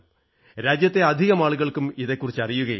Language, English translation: Malayalam, Not many people in the country know about this